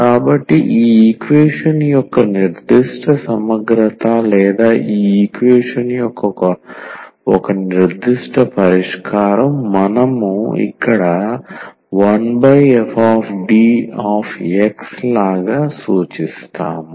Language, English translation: Telugu, So, the particular integral of this equation or a particular solution of this equation, we will denote here like 1 over f D and operated on X